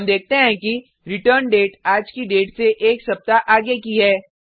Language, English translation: Hindi, We see that the return date is one week from todays date